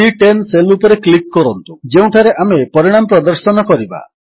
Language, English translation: Odia, Lets click on the cell referenced as C10 where we will be displaying the result